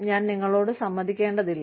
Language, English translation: Malayalam, I do not have to agree to you